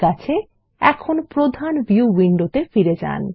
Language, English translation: Bengali, Let us go to the main Base window